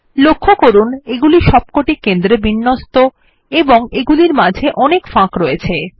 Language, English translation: Bengali, Notice that they are all centered and dont have a lot of space in between them